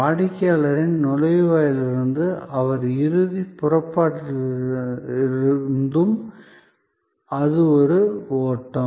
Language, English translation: Tamil, Right from the entrance of the customer and his final departure, it is a flow